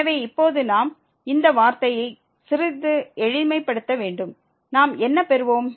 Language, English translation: Tamil, So, the now again we need to simplify this term a little bit and what we will get